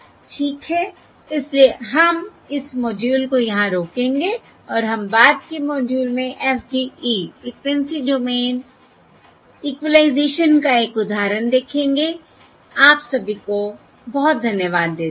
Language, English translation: Hindi, all right, Okay, so we will stop this module here and we will look, um look at an example of FDE Frequency Domain Equalisation in the subsequent module